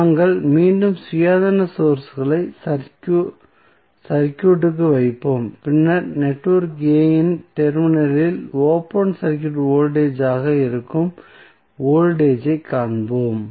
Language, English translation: Tamil, So, we will again put the Independent Sources back to the circuit, and then we will find the voltage that is open circuit voltage across the terminal of network A